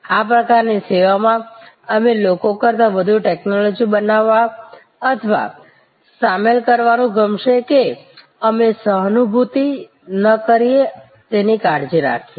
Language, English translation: Gujarati, In this kind of service, we will like to create or rather induct more technology rather than people that we careful that we do not pare empathy